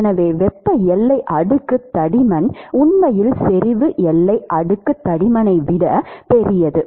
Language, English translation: Tamil, So, the thermal boundary layer thickness is actually larger than the concentration boundary layer thickness and that is larger than the momentum boundary layer thickness